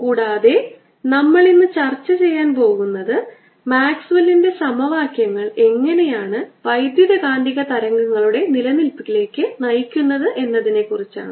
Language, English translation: Malayalam, will be talking about maxwell equations, and what we going to do today is talk about how maxwell's equations lead to existence of electromagnetic wave